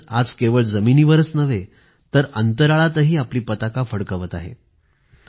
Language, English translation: Marathi, Today, India's flag is flying high not only on earth but also in space